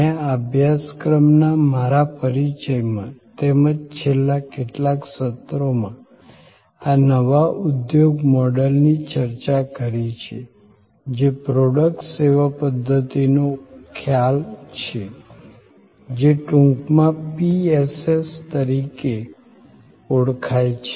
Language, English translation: Gujarati, I have referred to this new business model in my introduction to this course as well as over the last few sessions, which is the concept of Product Service Systems, in short often known as PSS